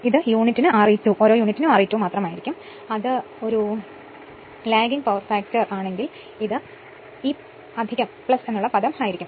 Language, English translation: Malayalam, It will be simply R e 2 per unit right or and if it is a lagging power factor, it will plus this term